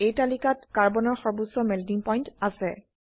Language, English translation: Assamese, In this chart, Carbon has highest melting point